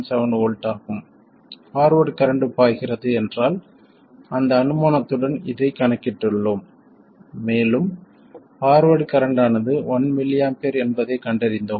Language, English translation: Tamil, 7 volts if there is a forward current flowing and with that assumption we calculated this and found that the forward current is 1 milamph